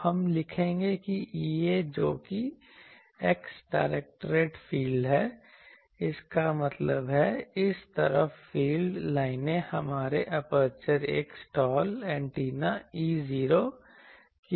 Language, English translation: Hindi, So, we will write that E a that is x directed you see from here it is the x directed field, so that means, this side the fields lines are here just like our aperture a slot antenna E 0